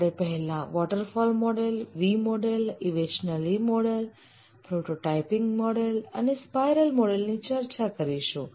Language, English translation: Gujarati, We'll discuss about the waterfall, V model, evolutionary prototyping spiral model